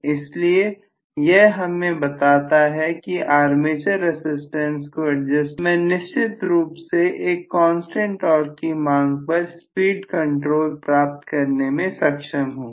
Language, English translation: Hindi, So that essentially tells me that by adjusting the armature resistance I would be able to definitely get as speed control at a constant torque demand